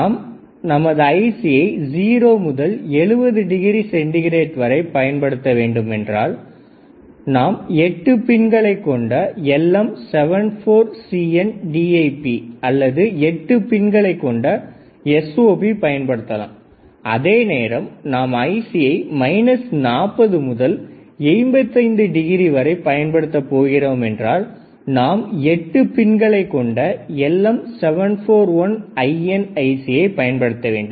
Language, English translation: Tamil, So, if you want to use temperature from 0 to 70 we can either have LM 741 8 pin DIP or 8 pin SOP, while if you want to go from minus 40 to 85 degree, we have to go for 8 pin DIP LM 741